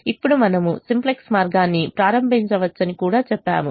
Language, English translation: Telugu, now we also said we could have started the simplex way